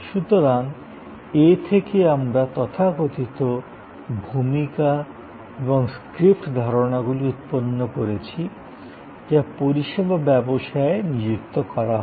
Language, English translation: Bengali, So, from this we have derived the so called role and script concepts that are deployed in service businesses